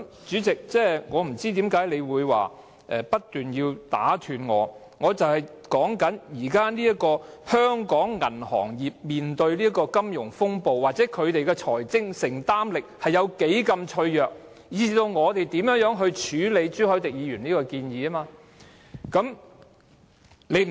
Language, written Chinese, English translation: Cantonese, 主席，我不明白你不斷打斷我發言的原因，我正正想指出香港銀行業正面對的金融風暴，銀行的財政承擔力有多脆弱，以至議員應如何處理朱凱廸議員的建議。, President I have no idea why you keep interrupting me . What I precisely wish to point out is the financial turmoil confronting the banking system of Hong Kong how vulnerable is the financial exposure position of our banks and how Members should handle Mr CHU Hoi - dicks proposal